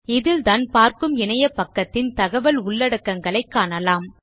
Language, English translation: Tamil, This is where you see the content of the webpage you are viewing